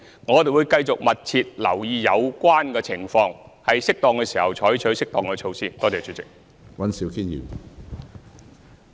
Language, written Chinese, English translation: Cantonese, 我們會繼續密切留意有關情況，在適當時候採取適當措施。, We will continue to monitor the relevant situation closely and take appropriate measures in due course